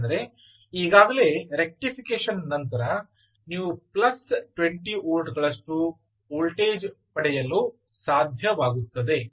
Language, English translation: Kannada, because already, just after rectification, you are able to get close to plus twenty volts